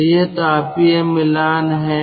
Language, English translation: Hindi, so this is thermal matching